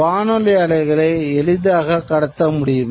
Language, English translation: Tamil, Radio waves could be transmitted